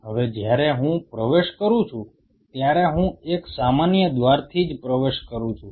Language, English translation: Gujarati, Now when I am entering I am entering through one common gate right